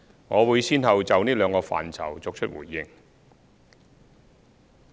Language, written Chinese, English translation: Cantonese, 我會先後就這兩個範疇作出回應。, I will give a reply to the two areas successively